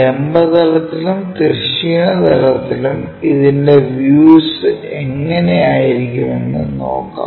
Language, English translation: Malayalam, If that is the case how these views really look like on vertical plane and horizontal plane